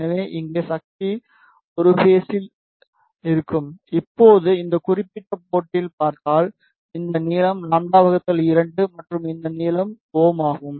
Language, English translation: Tamil, So, power here will be in same phase now if you see at this particular port this length is lambda by 2 and this length is lambda